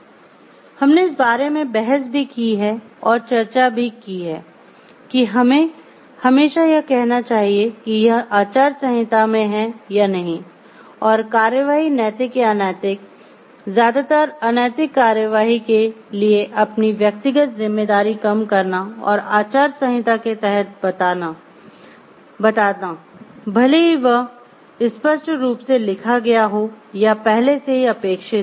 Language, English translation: Hindi, We have also debated about and discussed about like should we always say like it is there in the code of ethics or not there is a code of ethics and we will lessen our individual responsibility for a particular action ethical or a unethical, mostly unethical action by taking shelter under the code of ethics or along with the code of ethics whether it is there written explicitly or it is implicitly expected a first